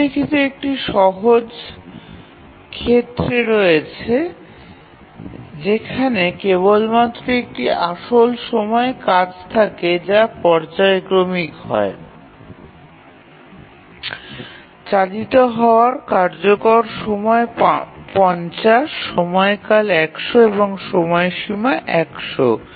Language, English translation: Bengali, Let's consider there is a very simple case where there is only one real time task which is periodic, the period is 50, sorry, the execution time is 50, the period is 100 and the deadline is 100